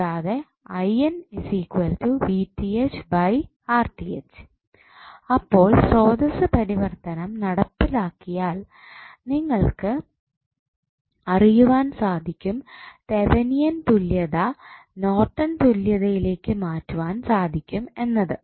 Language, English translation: Malayalam, So, if you carry out the source transformation you will come to know that the Thevenin equivalent can be converted into Norton's equivalent